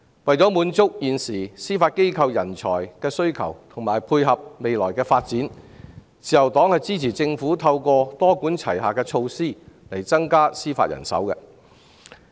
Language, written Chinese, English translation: Cantonese, 為滿足司法機構的人才需求及配合未來發展，自由黨支持政府多管齊下，增加司法人手。, To meet the manpower needs of the Judiciary and support its future development the Liberal Party supports the Government in taking a multi - pronged approach to increase judicial manpower